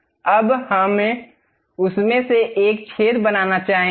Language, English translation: Hindi, Now, we would like to make a hole out of that